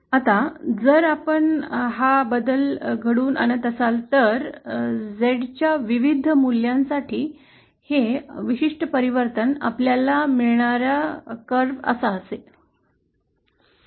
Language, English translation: Marathi, Now, if we plot this transformation, this particular transformation for various values of Z, the curve that we get is something like this